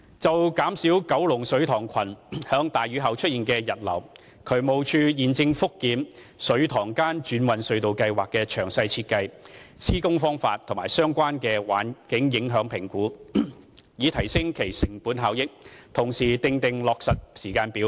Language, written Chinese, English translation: Cantonese, 就減少九龍水塘群在大雨後出現溢流，渠務署現正覆檢"水塘間轉運隧道計劃"的詳細設計、施工方法及相關環境影響評估，以提升其成本效益，同時訂定落實時間表。, Regarding the effort to reduce overflow from the reservoirs in Kowloon after heavy rain the Drainage Services Department is reviewing the detailed design construction method and environmental impact assessment of the Inter - Reservoirs Transfer Scheme so as to improve its cost effectiveness and decide on a timetable for implementation